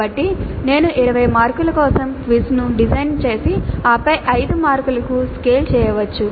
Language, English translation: Telugu, So I may design the quiz for 20 marks then scale it down to 5 marks